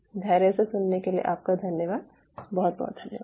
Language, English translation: Hindi, thanks for your patience listening